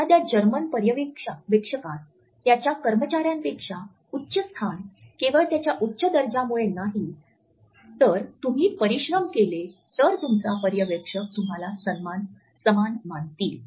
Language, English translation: Marathi, A supervisor in a German business does not have a higher status than his employees just because his position is higher, if you work hard your supervisor would treat you as equal